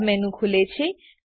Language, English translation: Gujarati, A sub menu opens